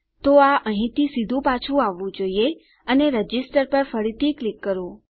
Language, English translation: Gujarati, So it should just come straight back from here and re click on register